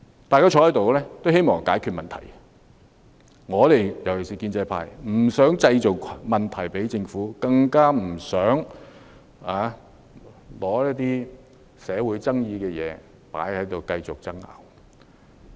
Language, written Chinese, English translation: Cantonese, 大家坐在議事堂內，都希望解決問題，尤其是建制派不想為政府製造問題，更不想繼續爭拗一些社會有爭議的議題。, Everyone sitting in the Chamber wants to work out a solution . In particular the pro - establishment camp does not want to get the Government into trouble . Neither do we wish to prolong the debate on this controversial social issue